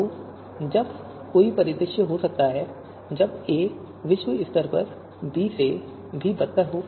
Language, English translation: Hindi, So when there can be scenario when a is globally worse than b